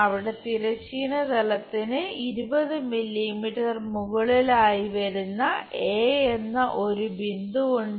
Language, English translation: Malayalam, Let us ask a question there is a point A which is 20 millimetres above horizontal plane